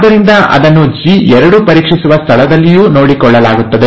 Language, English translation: Kannada, So that is also taken care of in the G2 checkpoint